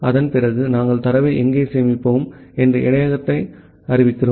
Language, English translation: Tamil, Then after that we are declaring the buffer where we will store the data